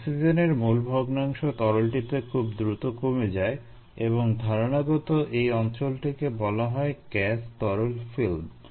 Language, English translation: Bengali, the mole fraction of oxygen requires quiet decreases quite drastically in the liquid, and this conceptual region is called the gas liquid film